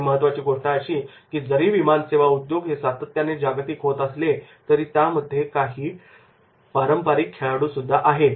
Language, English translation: Marathi, An important fact is that even though the airline industry is increasingly global, there are two very few traditional players are there